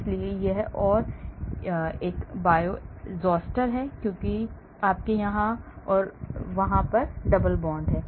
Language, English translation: Hindi, so this and this are Bioisosteres because you have here double bond here and there